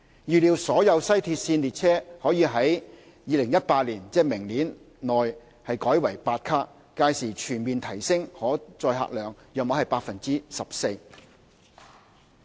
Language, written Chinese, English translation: Cantonese, 預計所有西鐵線列車可於2018年，即明年內改為8卡，屆時全面提升可載客量約 14%。, It is expected that the overall carrying capacity can be enhanced by about 14 % when all WRL trains have been converted to 8 - car trains by 2018 which is next year